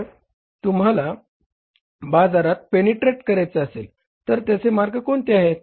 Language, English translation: Marathi, If you want to penetrate in the market, then what is the way